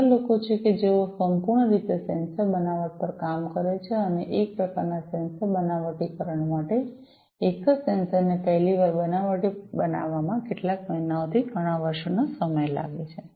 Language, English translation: Gujarati, There are people who basically work solely on sensor fabrication and for one type of sensor fabrication it may take you know several months to several years for fabricating a single sensor for the first time